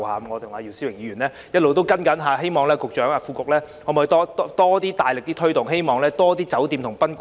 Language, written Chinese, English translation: Cantonese, 我與姚思榮議員其實一直在跟進，希望局長和副局長考慮加大力度推動，亦希望更多酒店和賓館參與。, We hope that the Secretary and the Under Secretary will consider stepping up efforts to promote this measure . We also hope to see participation from more hotels and guesthouses